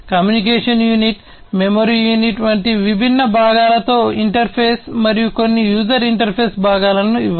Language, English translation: Telugu, Interface with different components such as the communication unit, the memory unit, and give some user interface components